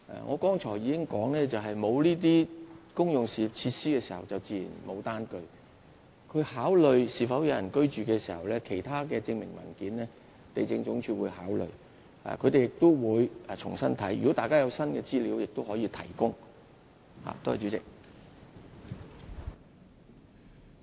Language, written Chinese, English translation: Cantonese, 我剛才已經說明，沒有這些公用設施，自然沒有單據，地政總署考慮村落是否有人居住時，會一併考慮其他的證明文件，也會重新審視，如果大家有新的資料，也可以提供。, I have made it clear just now that the bills do not exist at all since public utilities were not available then . LandsD will take into account other document proofs altogether in considering whether the village is inhabited by people . It will also examine afresh the proofs so you may provide new information if any for its consideration